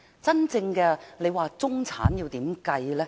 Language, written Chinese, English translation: Cantonese, 真正的中產要如何計算呢？, How should we define the middle class?